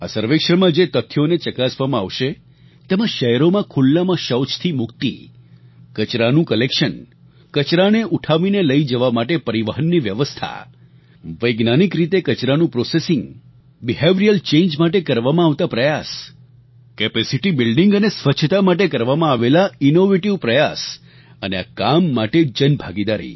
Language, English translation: Gujarati, During this survey, the matters to be surveyed include freedom from defecation in the open in cities, collection of garbage, transport facilities to lift garbage, processing of garbage using scientific methods, efforts to usher in behavioural changes, innovative steps taken for capacity building to maintain cleanliness and public participation in this campaign